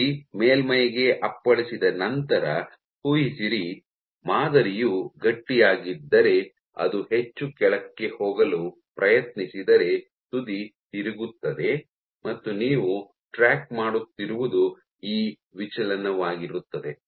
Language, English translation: Kannada, So, as the tip is coming down imagine once the tip hits the surface, if it tries to go down more if the sample is stiff the tip will get deflected and it is this deflection that you are tracking